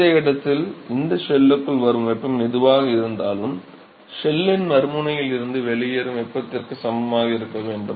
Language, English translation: Tamil, Whatever heat that is coming into this shell at this location, should be equal to what leaves plus whatever is leaving from the other end of the shell right